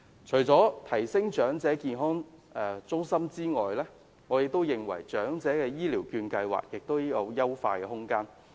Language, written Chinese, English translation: Cantonese, 除了提升長者健康中心的服務之外，我認為長者醫療券計劃亦有優化的空間。, Besides enhancing the services of elderly health centres I consider there is room for improvement as far as the Elderly Health Care Voucher Scheme is concerned